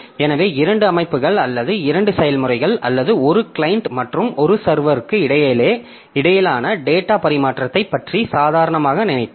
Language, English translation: Tamil, So, if you are simply of data transfer between two systems or two processes, one client and one server